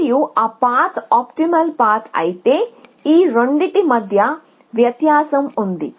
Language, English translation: Telugu, And if that path is an optimal path, so if, so there is a distinction between these two